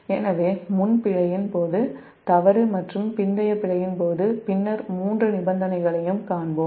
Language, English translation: Tamil, so during pre fault, during fault and post fault later we will see the three condition